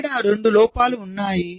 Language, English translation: Telugu, so these are the two faults